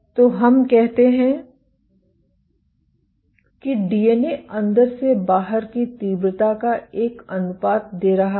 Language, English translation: Hindi, So, let us say the DNA is giving a vary, a given ratio, intensity of inside to outside